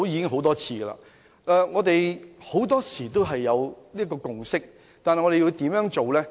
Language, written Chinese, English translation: Cantonese, 很多時候，我們已取得共識，但應如何落實呢？, Very often we have already forged a consensus but we do not know how to proceed